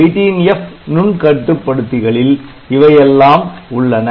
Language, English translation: Tamil, So, 18F family of microcontroller so, they will have all these things